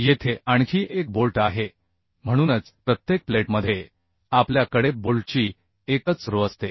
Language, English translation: Marathi, that is why in each plate we have a single bolt, single row of bolt